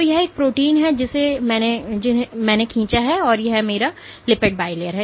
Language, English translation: Hindi, So, this is a protein here what I have drawn and this is my lipid bilayer ok So, there might be some proteins